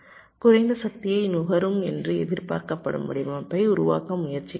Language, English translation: Tamil, i am trying to create a design that is expected to consume less power